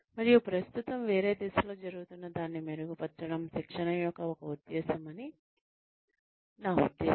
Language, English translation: Telugu, And, I mean, that is one purpose of training ; to improve, whatever is going on currently to a different state